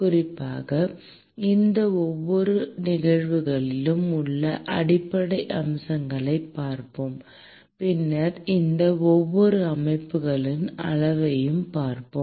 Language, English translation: Tamil, Particularly, we will be looking at the fundamental aspects in each of these cases, and then we will be looking at quantitation of each of these systems